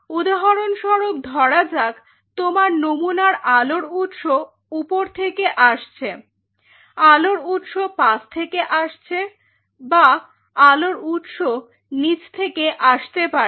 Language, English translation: Bengali, Say for example, this is why your sample is light source may come from top light source may come from side light source may come from bottom